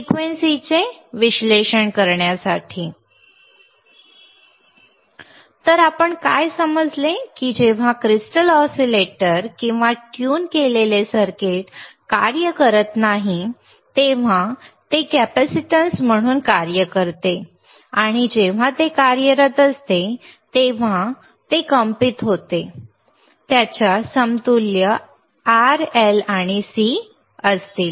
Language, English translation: Marathi, So, what we understood that when the crystal, when the crystal when the crystal oscillator or a tuned circuit is not functional, it acts as a capacitance, and when it is functional, when it is vibrating, it will have R, L and C in its equivalent